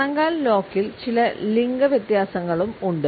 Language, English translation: Malayalam, In the ankle lock, we also find certain gender differences